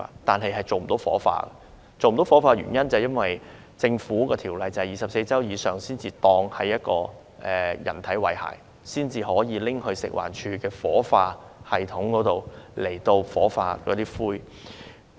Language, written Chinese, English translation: Cantonese, 但是，嬰兒遺體不能火化，因為法例規定，受孕24周以上的胎兒才當為人，其遺骸才可以在食物環境衞生署的火化系統中火化。, However the remains of stillborn abortuses cannot be cremated because the law stipulates that only a foetus of more than 24 weeks gestation can be considered as a human being which can be cremated in the cremation system of the Food and Environmental Hygiene Department